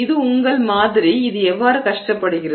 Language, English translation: Tamil, So, this is your sample and this is how it has strained